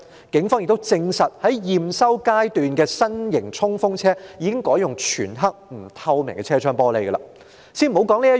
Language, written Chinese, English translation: Cantonese, 警方亦證實，在驗收階段的新型衝鋒車的車窗已改用全黑及不透明的玻璃。, The Police had also confirmed that the new emergency unit vehicles were installed with dark tinted glass windows in the acceptance stage